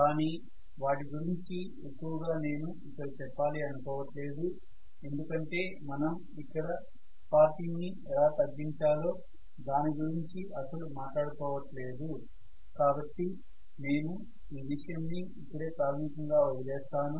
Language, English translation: Telugu, There are actually more reasons I am not going into any of that because we are not even going to talk about how to reduce sparking and so on and so forth, I am leaving it at this basically